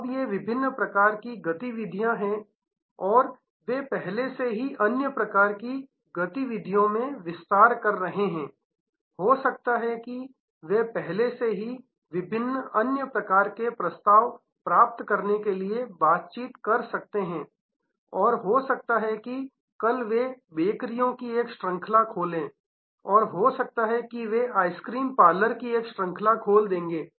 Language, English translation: Hindi, Now, these are different types of activities and they might be already expanding into other types of activities, they may be already a negotiation to acquire different other types of offerings, maybe tomorrow they will open a chain of bakeries, may be they will open a chain of ice cream parlours